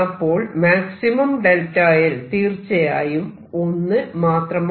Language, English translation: Malayalam, And therefore, maximum delta l can be 1